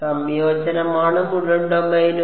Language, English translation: Malayalam, The integration is the whole domain